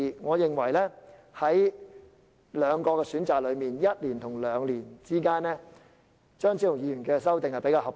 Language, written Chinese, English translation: Cantonese, 我認為在兩個選擇中，即在1年與兩年之間，後者——即張超雄議員的修正案——較為合理。, Between the two options ie . one year versus two years I find the latter―that is Dr Fernando CHEUNGs amendment―more reasonable